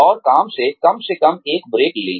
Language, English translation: Hindi, And, at least take a break, from work